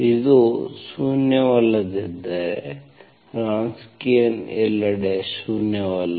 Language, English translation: Kannada, If it is nonzero, Wronskian is nonzero everywhere